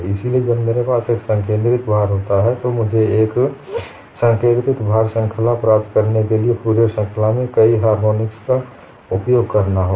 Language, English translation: Hindi, So, when I have a concentrated load, I have to use a Fourier series and invoke several harmonics to obtain a concentrated load